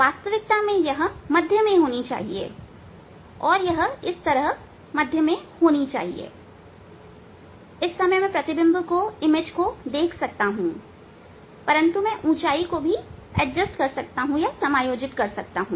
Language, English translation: Hindi, actually, and this way you should see you know, it should be at the centre of the so I can see image, but I can adjust the height